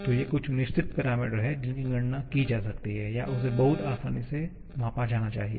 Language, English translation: Hindi, So, these are certain parameters which can be calculated or I should say measured very easily